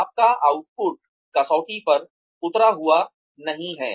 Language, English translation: Hindi, Your output has not been up to the mark